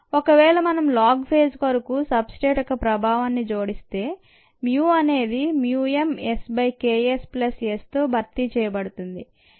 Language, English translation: Telugu, if it is possible, if we incorporate the effect of the substrate for the log phase, the mu needs to be replaced by mu m s, by k s plus s